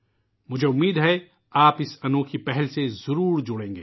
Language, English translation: Urdu, I hope you connect yourselves with this novel initiative